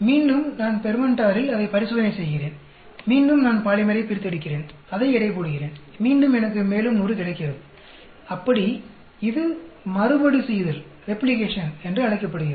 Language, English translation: Tamil, Again, I do the same experiment in the fermenter, and again I extract the polymer, weigh it, and again I get another 100, like that, it is called Repetition, sorry Replication